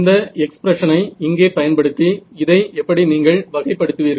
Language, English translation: Tamil, So, how do you characterize this is using this expression over here